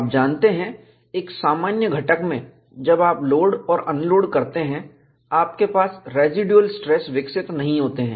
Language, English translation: Hindi, You know, in a normal component, when you load and unload, you do not have residual stresses developed